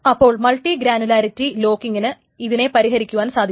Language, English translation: Malayalam, So the multiple granularity locking actually solves it